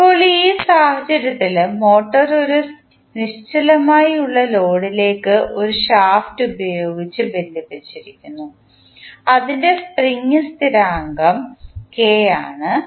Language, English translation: Malayalam, Now, in this case the motor is coupled to an inertial load through a shaft with a spring constant K